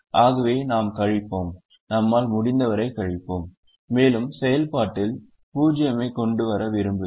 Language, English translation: Tamil, therefore, if we subtract, we subtract as much as we can and in the process we want zeros